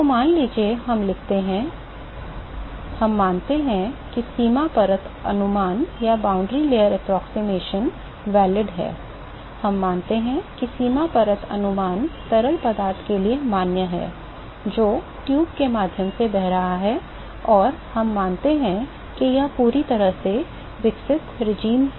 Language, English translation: Hindi, So, suppose, we write the; suppose, we assume that the boundary layer approximations are valid, we assume that the boundary layer approximations are valid for the fluid, which is flowing through the tube and we assume that it is in the fully developed regime